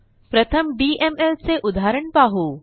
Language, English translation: Marathi, We will first see a DML example